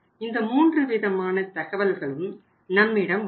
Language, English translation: Tamil, These are the 3 different types of information is available to us